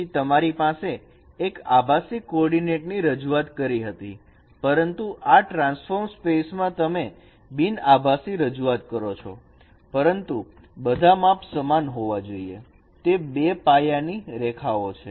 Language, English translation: Gujarati, So you had a rectilinear coordinate representation, but in the transformed space you are following a non rectilinear representation, but measurements should be all by the parallel lines of those two baselines